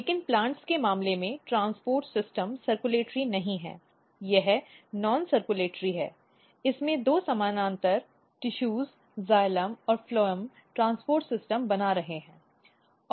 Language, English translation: Hindi, But in case of plants, transport system is not circulatory it is non circulatory and it is parallel two parallel tissues xylem and phloem’s basically makes the transport system